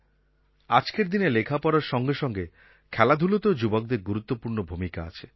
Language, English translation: Bengali, For the youth in today's age, along with studies, sports are also of great importance